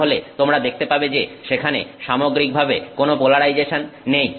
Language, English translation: Bengali, Then you would find that there is no net polarization